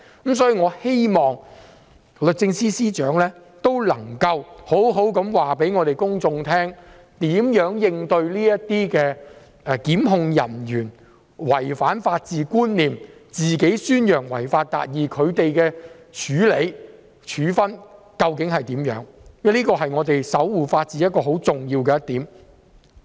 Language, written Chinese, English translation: Cantonese, 因此，我希望律政司司長可以告訴公眾會如何應對檢控人員違反法治觀念、宣揚違法達義的行為，他們究竟會如何處理和作出處分，因為這是我們守護法治很重要的一點。, Therefore I hope the Secretary for Justice can tell the public its ways to tackle prosecutors whose acts violate the rule of law and promote achieving justice by violating the law? . How will these prosecutors be dealt with and penalized? . This is an important aspect in upholding the rule of law